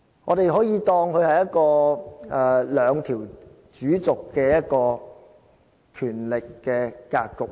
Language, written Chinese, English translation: Cantonese, 我們可以當它是一個兩條主軸的權力格局。, We can therefore look upon the present distribution of powers as one with two axes